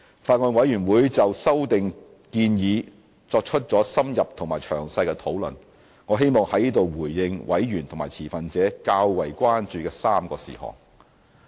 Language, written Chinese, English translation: Cantonese, 法案委員會就修訂建議作出了深入和詳細的討論，我希望在此回應委員和持份者較為關注的3個事項。, The Bills Committee has discussed the proposed amendments in depth and in detail . Here I wish to respond to three major concerns raised by members of the Bills Committee and stakeholders